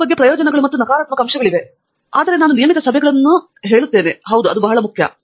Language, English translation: Kannada, There are benefits and negative points about both, but I would say regular meetings, yes; very important